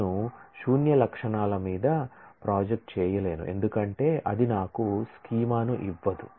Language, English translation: Telugu, I cannot project on a null set of attributes because that does not give me a schema